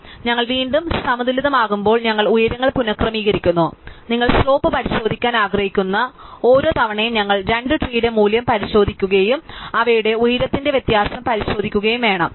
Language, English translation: Malayalam, So, as we are rebalancing we readjust the heights and every time you want to check to slope we just have to check the value of the two tree is below us and check that difference of their heights